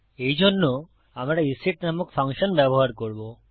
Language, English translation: Bengali, To do so, we will use a function called isset